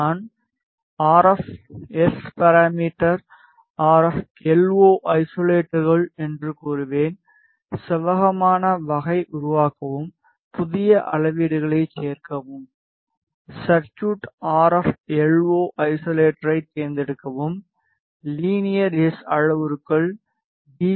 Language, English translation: Tamil, I will say RF SParam RF LO isolator; type is rectangular, create, add new measurements, select the circuit RFLO isolator, linear S parameters; S11 in dB and S21 again in dB